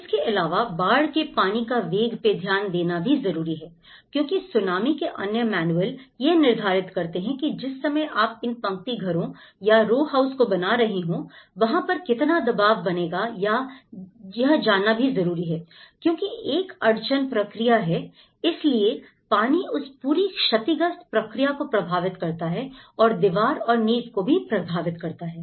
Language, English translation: Hindi, Also, the velocity of the flood water because the moment you are keeping the same thing what the other manual of the tsunami is talking, the moment you are making these row houses like this that is where this is going to create the pressure you know, intensify because that is where the it’s a kind of bottleneck process so, the water and then it affects this whole damaged process both the walls and also it can affect the foundations